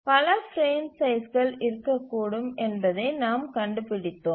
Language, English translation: Tamil, We find that there may be several frame sizes which may become feasible